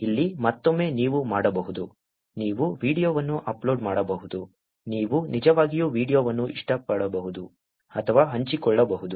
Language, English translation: Kannada, Here, again you can do, you can upload a video, you can actually like or share a video